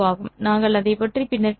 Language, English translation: Tamil, We will talk about it later